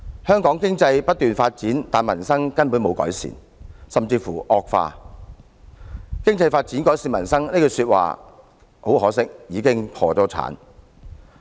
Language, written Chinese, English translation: Cantonese, 香港經濟不斷發展，但民生根本沒有改善，甚至乎惡化，"發展經濟，改善民生"這句說話，很可惜已經破產。, While the economy continues to grow in Hong Kong peoples livelihood has not been improved but has deteriorated instead . It is a shame that the promise of developing the economy and improving peoples livelihood has been broken